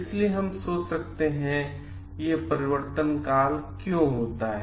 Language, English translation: Hindi, So, we can we may wonder like why this transition happen